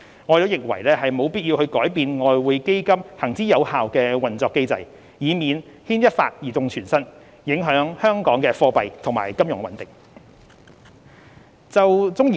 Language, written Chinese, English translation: Cantonese, 我們認為沒有必要改變外匯基金行之有效的運作機制，以免牽一髮而動全身，影響香港的貨幣及金融穩定。, We consider there is no need to change the established operating mechanism of EF any change of which might seriously affect the monetary and financial stability in Hong Kong